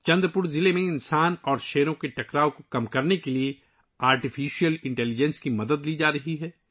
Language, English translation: Urdu, The help of Artificial Intelligence is being taken to reduce conflict between humans and tigers in Chandrapur district